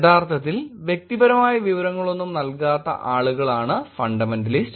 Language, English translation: Malayalam, Fundamentalist are the people who actually do not give away any personal information